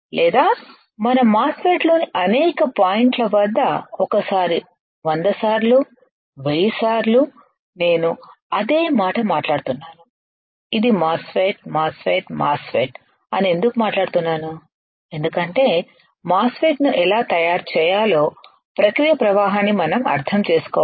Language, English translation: Telugu, Or we can use it at several points in our MOSFET that is one time a 100 times 1000 times I am speaking same thing which is MOSFET, MOSFET, MOSFET why because we have to understand the process flow for how to fabricate a MOSFET alright